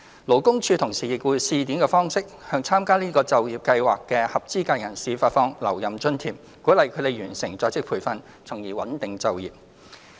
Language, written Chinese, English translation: Cantonese, 勞工處同時以試點方式，向參加這些就業計劃的合資格人士發放留任津貼，鼓勵他們完成在職培訓，從而穩定就業。, LD also launched a pilot scheme concurrently to encourage eligible persons to complete OJT under the above employment programmes through the provision of a retention allowance thereby stabilizing employment